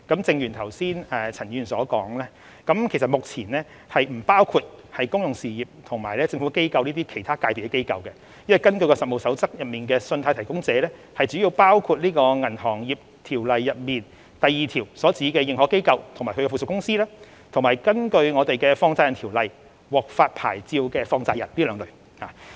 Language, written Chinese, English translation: Cantonese, 正如陳議員剛才所說，信貸提供者目前並不包括公用事業和政府機構等其他界別的機構，因為根據《實務守則》，信貸提供者主要包括《銀行業條例》第2條所指的認可機構及其附屬公司，以及根據《放債人條例》獲發牌照的放債人。, As Mr CHAN just said credit providers currently do not cover institutions of other sectors such as public utilities and government bodies because under the Code of Practice credit providers mainly include authorized institutions within the meaning of section 2 of the Banking Ordinance and their subsidiaries and a money lender licensed under the Money Lenders Ordinance